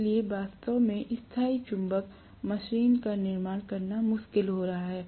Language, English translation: Hindi, So we are really finding it difficult to construct permanent magnet machine